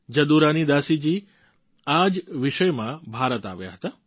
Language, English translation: Gujarati, Jadurani Dasi ji had come to India in this very connection